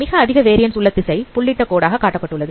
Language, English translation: Tamil, Now the direction for of maximum variance is a dotted line